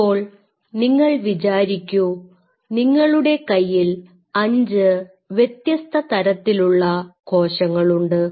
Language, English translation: Malayalam, Now, suppose you know these you have these 5 different kind of cells